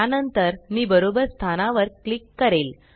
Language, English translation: Marathi, I will then click at the correct position